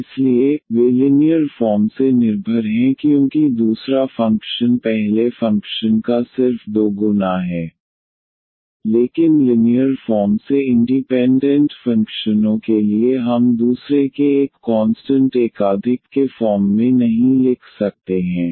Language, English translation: Hindi, So, they are linearly dependent because there the second function is just the 2 times of the first function so, but for linearly independent functions we cannot write as a constant multiple of the other